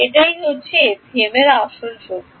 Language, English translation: Bengali, That is the real power of FEM